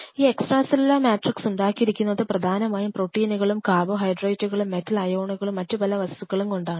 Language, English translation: Malayalam, And this extra cellular matrix is mostly proteins and part of carbohydrates and there are metal ions and several things which are involved in it